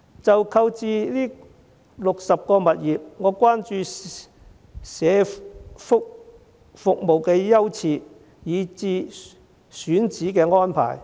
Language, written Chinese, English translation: Cantonese, 就購置60個物業的做法，我關注社福服務的優次，以至選址的安排。, Regarding the purchase of 60 properties I am concerned about the prioritization of social welfare services and the selection of sites